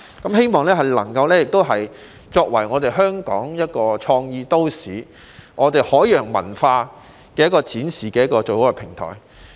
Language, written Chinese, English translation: Cantonese, 我希望香港作為一個創意都市，是展示海洋文化最好的平台。, I expect Hong Kong as a creative city to be the best platform to showcase maritime culture